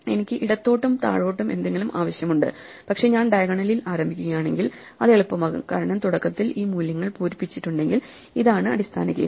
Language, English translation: Malayalam, I need something to the left and to the bottom, but if I start in the diagonal then it becomes easy, because I can actually say that if I have initially these values filled in, this is the base case